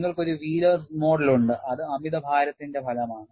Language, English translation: Malayalam, You have a Wheelers model, which accounts for the effect of overload